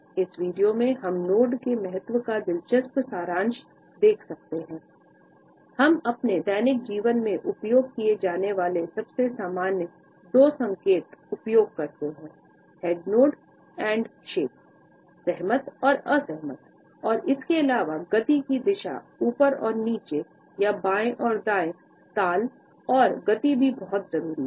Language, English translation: Hindi, The nod and shake, the probably most common two signs we use in our daily lives are the nod and the head shake; yes and no, agreeing and disagreeing and besides the direction of the motion up and down or left and right rhythm and speed are also very important